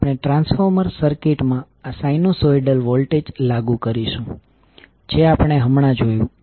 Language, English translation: Gujarati, We will apply this sinusoidal voltage in the transformer circuit which we just saw